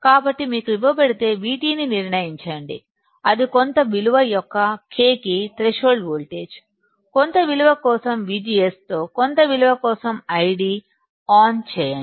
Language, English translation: Telugu, So, if you are given, determine VT, that is threshold voltage for K of some value, I D on for some value with V G S on for some value